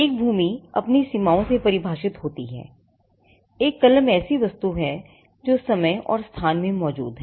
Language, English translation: Hindi, A land is defined by its boundaries, a pen is an object that exists in time and space